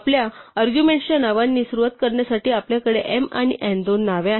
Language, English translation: Marathi, So, we have two names to begin with the names of our arguments m and n